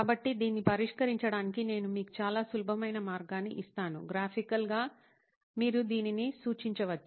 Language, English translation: Telugu, So I’ll give you a very very simple way to test this, also graphically you can represent this